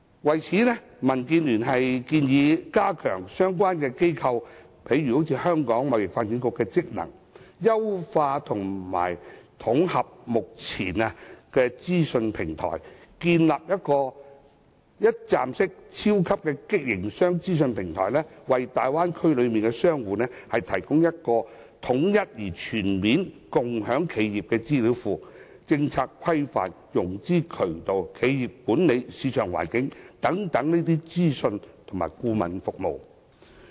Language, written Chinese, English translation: Cantonese, 就此，民建聯建議加強相關貿易機構，例如香港貿易發展局的職能，優化及統合目前的資訊平台，建立一站式超級營商資訊平台，為大灣區內的商戶提供統一而全面的共享企業資料庫，提供政策規範、融資渠道、企業管理、市場環境等資訊及顧問服務。, In this connection DAB proposes that the functions of trade - related organizations be enhanced . The party also proposes that the current information platforms be optimized and combined for the building of a powerful one - stop business information platform for businesses in the Bay Area . The new platform will serve as a central data - sharing base providing enterprises with comprehensive information on policy regulation financing channels corporate management market conditions and advisory services